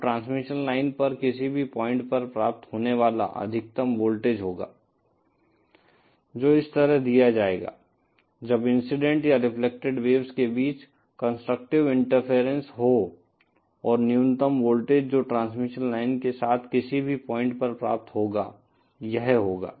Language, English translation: Hindi, Now the maximum voltage that is achieved at any point on the transmission line will be that, will be given like this when there is constructive interference between the incident and reflected waves and the minimum voltage that will be achieved at any point along the transmission line will be this